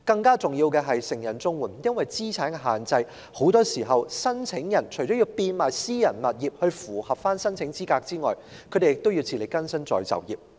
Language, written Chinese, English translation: Cantonese, 更重要的是成人綜援的申請人很多時除了因資產限制而要變賣私人物業以符合申請資格外，亦要自力更生再就業。, More importantly CSSA applicants often have to apart from selling their private properties in order to be eligible for application given the asset limit take up employment again for self - reliance